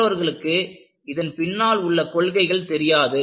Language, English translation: Tamil, Others were not knowing, what are the principles behind it